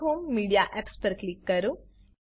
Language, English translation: Gujarati, Click on Dash home, Media Apps